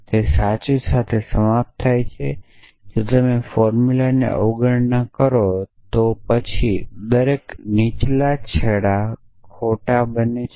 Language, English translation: Gujarati, It will end up with true, if take if you take the negation of that formula then every lower ends of become false